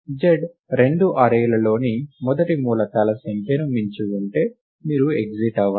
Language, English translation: Telugu, If z exceeds the total number of elements in the array, in the two arrays, then you exit